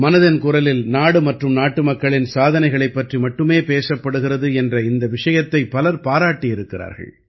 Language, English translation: Tamil, People have appreciated the fact that in 'Mann Ki Baat' only the achievements of the country and the countrymen are discussed